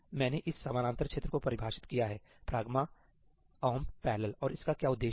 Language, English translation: Hindi, I defined this parallel region ñ ëhash pragma omp parallelí, and what is the purpose itís serving